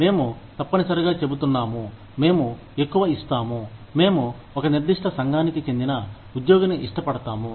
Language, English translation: Telugu, We are essentially saying that, i will give more, i will prefer the employee, who belongs to a certain community